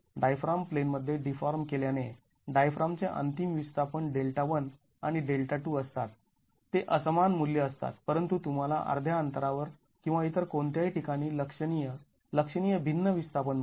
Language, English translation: Marathi, With the diaphragm deforming in plane the n displacements of the diaphragm are delta 1 and delta 2, they are unequal values but you get a significantly different displacement at midspan or at any other locations